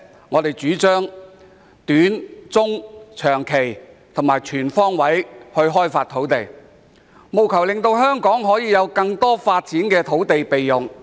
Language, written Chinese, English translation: Cantonese, 我們主張透過短、中及長期措施，全方位開發土地，務求令香港有更多可發展的土地備用。, We advocate land development on all fronts through short - medium - and long - term measures so that there will be more land available for development in Hong Kong